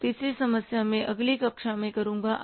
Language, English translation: Hindi, So third problem I will do in the next class